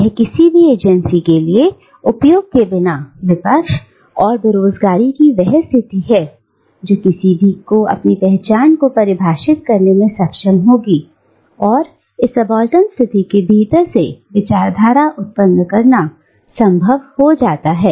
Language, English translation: Hindi, And, it is a position of disempowerment, opposition without any access to agency that will enable one to define one's own identity, and it becomes impossible to generate discourse from within this subaltern position